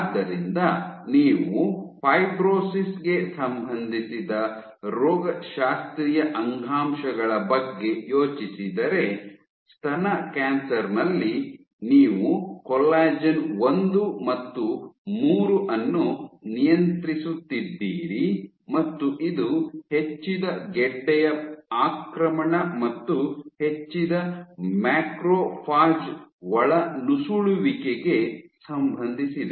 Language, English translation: Kannada, So, if you think of pathological tissues associated with fibrosis, you have breast cancer where you have col 1 and 3 up and this has been associated with increased tumor invasion and increased macrophage infiltration